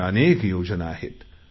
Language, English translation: Marathi, There were many options